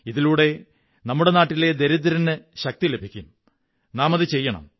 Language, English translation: Malayalam, The poor of our country will derive strength from this and we must do it